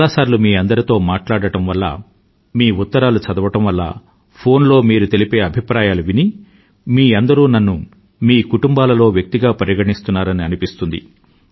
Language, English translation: Telugu, Many times while conversing with you, reading your letters or listening to your thoughts sent on the phone, I feel that you have adopted me as part of your family